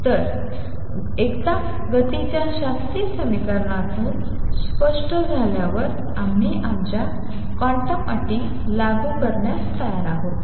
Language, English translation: Marathi, So, once that is clear from the classical equation of motion we are ready to apply our quantum conditions